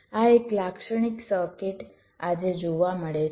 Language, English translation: Gujarati, this is how a typical circuit today looks like